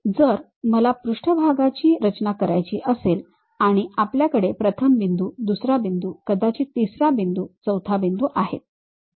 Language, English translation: Marathi, If I would like to construct a surface first point, second point, perhaps third point fourth point these are the points we have